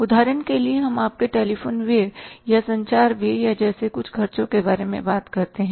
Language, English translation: Hindi, For example, you talk about some expenses like your telephone expenses or the communication expenses